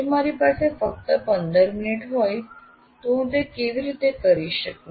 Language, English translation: Gujarati, And whether if I have only 15 minutes, how do I go about doing it